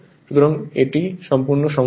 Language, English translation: Bengali, So, this is the problem